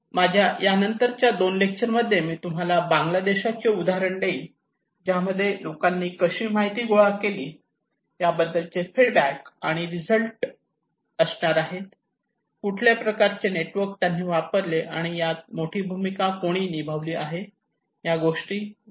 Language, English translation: Marathi, In my 2 other lectures next to that, I would then give you the examples for Bangladesh, the results that feedbacks that how people collect this information, what kind of networks they use and who play a bigger role, okay